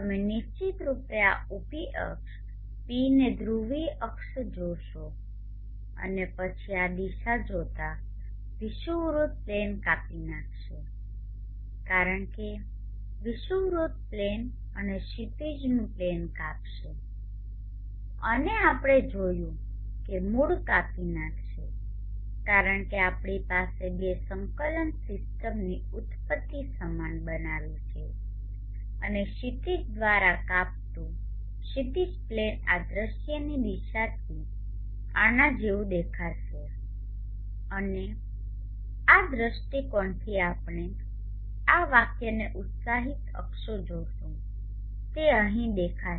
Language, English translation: Gujarati, You will see of course this vertical axis t the polar axis like this and then viewing from this direction the equatorial plane will cut across as the equatorial plane and the horizon plane cuts across and we saw that cuts across through the origin because we have made the origins of the two coordinate system the same and the horizon plane cutting through the horizon will look like this from this view direction